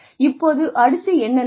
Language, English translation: Tamil, Now, what next